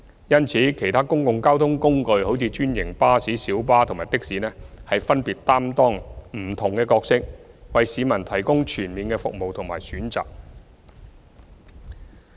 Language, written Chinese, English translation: Cantonese, 因此，其他公共交通工具，例如專營巴士、小巴及的士分別擔當不同的角色，為市民提供全面的服務和選擇。, Therefore other public transport means such as franchised buses minibuses and taxis play different roles in providing comprehensive services and choices for the public